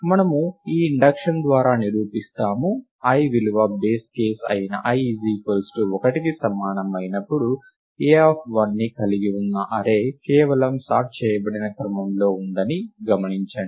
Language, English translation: Telugu, We prove by this induction on the value of i observe that when i equal to 1 which is the base case, the array just cons containing a of 1 is just in sorted order